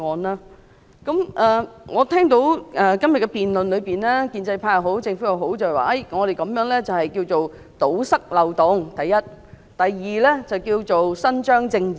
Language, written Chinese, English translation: Cantonese, 在今天的辯論中，建制派及政府均表示，政府建議修例的目的，第一是要堵塞漏洞，第二是要伸張正義。, In todays debate both the pro - establishment camp and the Government claim that the reasons for the Government to propose these legislative amendments are to first remove loopholes and second do justice